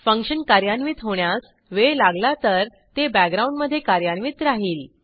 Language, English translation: Marathi, If the function takes time to execute, it will run in the background